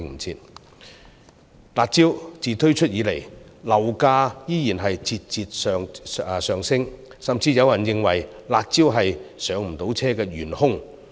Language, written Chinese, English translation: Cantonese, 自"辣招"推出以後，樓價依然節節上升，甚至有人認為"辣招"是市民無法"上車"的元兇。, Since the introduction of the curb measures property prices have kept rising and some people even think that the curb measures are the culprit causing them unable to buy their first homes